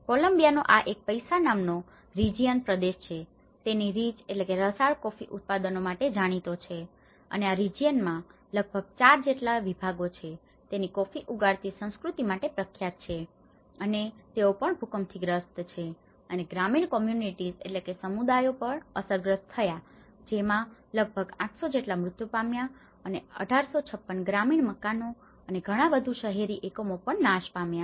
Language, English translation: Gujarati, That is where, this Paisa region of Colombia which is known for its rich coffee products and there are about 4 departments in this particular region which famous for its coffee growing culture and even this they have been affected by the earthquake the rural communities have been affected that’s about 800 deaths which has destroyed about 1,856 rural houses and many more urban units